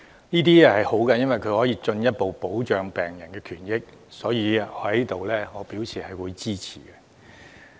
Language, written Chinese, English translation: Cantonese, 這是好事，因為可以進一步保障病人權益，我對此表示支持。, It is a good measure to further protect patients rights and interests to which I express support